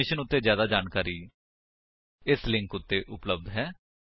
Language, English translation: Punjabi, More information on this mission is available at [2]